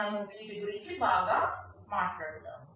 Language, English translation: Telugu, Well, we shall also be talking about these